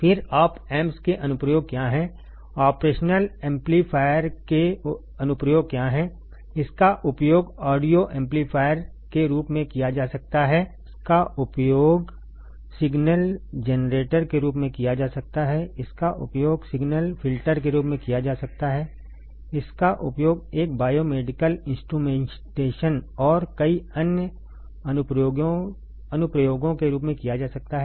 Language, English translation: Hindi, Then what are the applications of op amps, what are the application of operational amplifier, it can be used as an audio amplifier, it can be used as a signal generator, it can be used as a signal filter, it can be used as a biomedical instrumentation and numerous other applications, numerous other applications ok